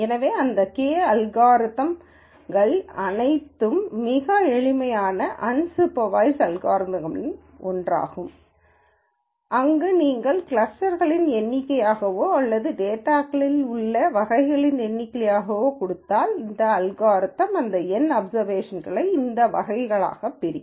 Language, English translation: Tamil, So, having said all of that K means is one of the simplest unsupervised algorithms where, if you give the number of clusters or number of categories that exist in the data then, this algorithm will partition these N observations into these categories